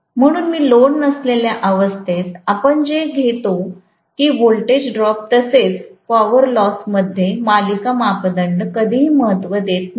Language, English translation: Marathi, So, under no load condition we take it that the series parameters hardly ever play a role in the voltage drop as well as in the power loss